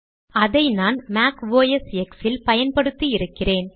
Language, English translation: Tamil, I have checked its working on Mac OS X